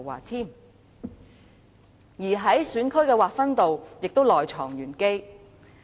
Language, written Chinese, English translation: Cantonese, 另一方面，選區的劃分也是內藏玄機。, On the other hand there are some enigmas in the demarcation of constituencies